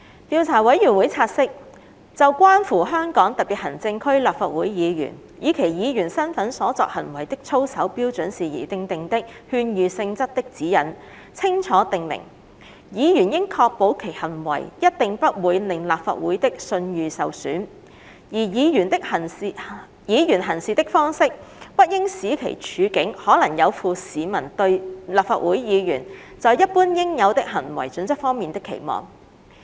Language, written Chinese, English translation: Cantonese, 調查委員會察悉，《就關乎香港特別行政區立法會議員以其議員身份所作行為的操守標準事宜訂定的勸喻性質的指引》清楚訂明，"議員應確保其行為一定不會令立法會的信譽受損"，而"議員行事的方式，不應使其處境可能有負市民對立法會議員在一般應有的行為準則方面的期望"。, The Investigation Committee notes that the Advisory Guidelines on Matters of Ethics in relation to the Conduct of Members of the Legislative Council of the Hong Kong Special Administrative Region in their capacity as such clearly state that a Member should ensure that his conduct must not be such as to bring discredit upon the Legislative Council and should conduct himself in such a way as not to place himself in a position which may be contrary to the generally assumed standard of conduct expected of a Member of the Council